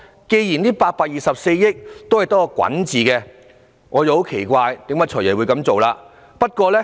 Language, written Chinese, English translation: Cantonese, 既然這824億元只是用作滾存，我便很奇怪"財爺"今次的做法。, As the 82.4 billion is the accumulated amount I am greatly surprised by the practice of the Financial Secretary this time